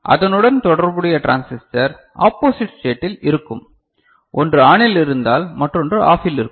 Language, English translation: Tamil, And the corresponding transistor will be in the opposite state if one is ON another will be OFF